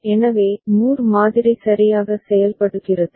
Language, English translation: Tamil, So, that is how Moore model works right